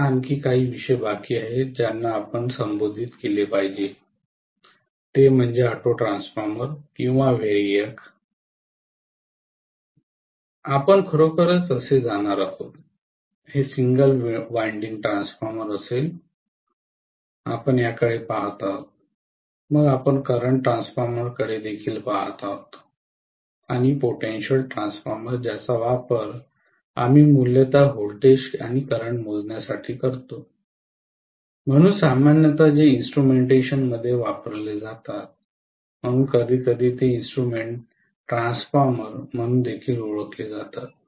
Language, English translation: Marathi, Now a few more topics that are pending that we need to address are, autotransformer or variac, how we are going to really, you know connect this will be a single winding transformer, we will be looking at this, then we will also be looking at current transformer and potential transformer which we would use basically for measuring voltages and currents, so generally they are used in instrumentation so sometimes they are also known as instrument transformers